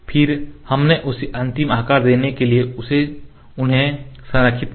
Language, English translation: Hindi, Then we align them align them to get the final shape